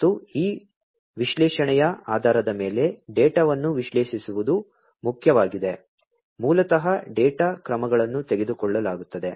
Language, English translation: Kannada, And also it is important to analyze the data based on this analysis, basically the data, the actions will be taken